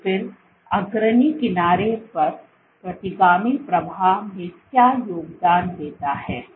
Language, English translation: Hindi, So, then what contributes to retrograde flow at the leading edge